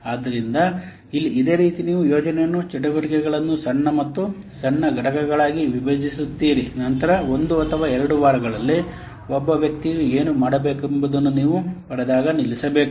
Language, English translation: Kannada, So here similarly, you break the project activities into smaller and smaller components, then stop when you get to what to be done by one person in one or two weeks